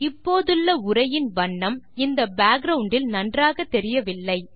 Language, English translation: Tamil, Notice that the existing text color doesnt show up very well against the background